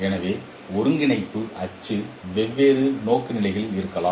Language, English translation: Tamil, So coordinate axis could be in different orientations